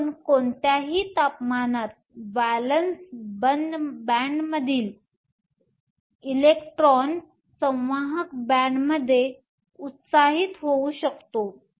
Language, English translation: Marathi, So, at any temperature, you can have electrons from the valence band being excited to the conduction band